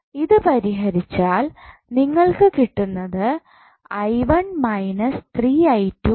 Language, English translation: Malayalam, Now, if you solve it what you will get